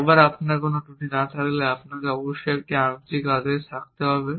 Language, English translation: Bengali, Once you have no flaws, you must still have a partial order; you may not have specified a complete order